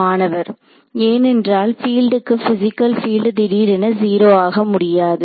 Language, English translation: Tamil, Because, for a field a field a physical field cannot abruptly go to 0